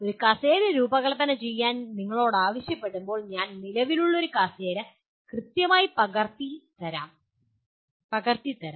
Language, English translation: Malayalam, When you are asked to design a chair, I may exactly copy an existing chair and give you that